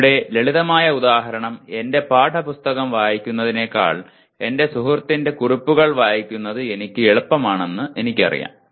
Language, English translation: Malayalam, Here simple example is I know that reading the notes of my friend will be easier for me than reading my textbook